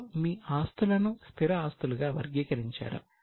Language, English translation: Telugu, Now, your assets are further categorized as fixed asset